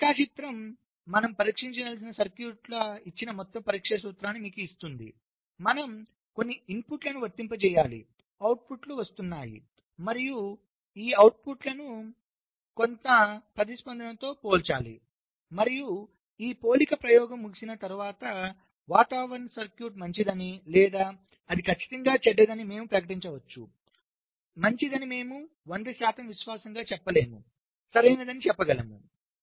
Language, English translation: Telugu, so this diagram gives you the overall testing principle, like, given a circuit which we want to test, we have to apply some inputs, the outputs are coming and we have to compare this outputs again, some golden response, and after this comparison experiment is over, we can declare that the weather is circuit is probably good or it is definitely bad